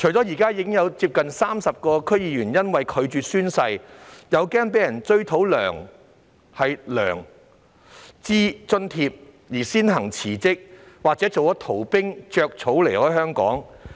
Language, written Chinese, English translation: Cantonese, 現時已有接近30名區議員因拒絕宣誓及擔心被追討薪酬津貼而先行辭職，或是當逃兵離開香港。, At present nearly 30 DC members have already resigned because of their refusal to take the oath and fear that the remuneration and allowances would be recovered or because they have taken refuge outside Hong Kong